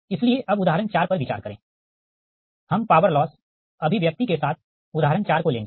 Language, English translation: Hindi, we will take the example four, right, with power loss expression